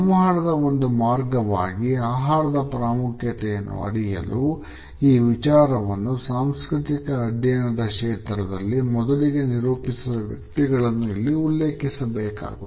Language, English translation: Kannada, When we look at the significance of food as a means of communication, we have to refer to those people who had pioneered this thought in the area of cultural studies